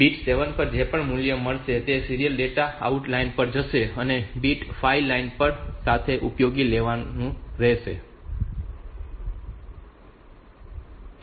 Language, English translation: Gujarati, So, whatever will be the value at bit 7 so that will go to the serial data out line and bit 5 is not used with the SIM line